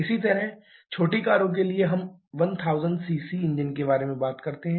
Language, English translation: Hindi, Similarly, for smaller cars we talk about 1000 cc engines for sedans we talk about 1